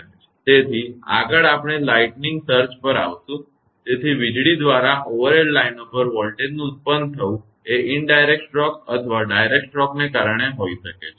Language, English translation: Gujarati, So, next we will come to the lightning surges; so, the voltage produce on the overhead lines by lightning may be due to indirect stroke or direct stroke